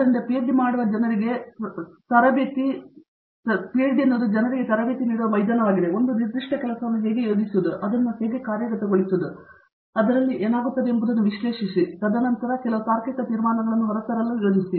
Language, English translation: Kannada, So, PhD is a training ground where we train people, how to plan a certain work and execute it, analyze what comes out of it and then bring out some logical conclusions out of it